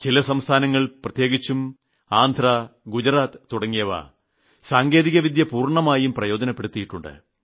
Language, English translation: Malayalam, Some states, especially Gujarat and Andhra Pradesh have made full use of technology